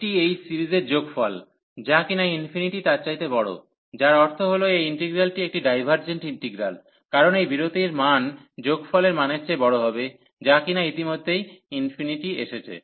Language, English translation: Bengali, This is greater than this sum of the series, which is infinity, so that means this integral is a divergent integral, because the value of this interval will b larger than the value of the sum, which is coming already to infinity